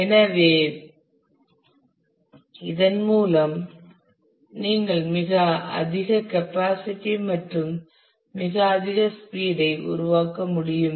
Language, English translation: Tamil, So, by this you can create very high capacity and very high speed and